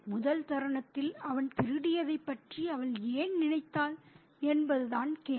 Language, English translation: Tamil, And the question is, why did she think of his stealing at the very first instant